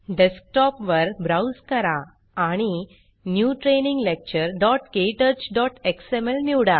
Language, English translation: Marathi, Browse to the Desktop and select New Training Lecture.ktouch.xml